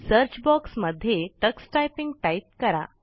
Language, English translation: Marathi, In the Search box, type Tux Typing